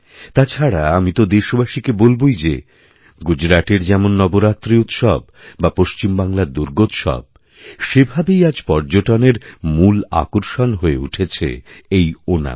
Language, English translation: Bengali, And I would like to mention to my countrymen, that festivals like Navaratri in Gujarat, or Durga Utsav in Bengal are tremendous tourist attractions